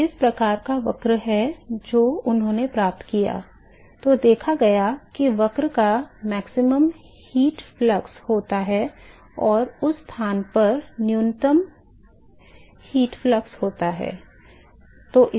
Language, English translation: Hindi, So, so this is the kind of curve that he obtained, and what was observed is that there is a maximal heat flux on the curve and there is a minimal heat flux in that place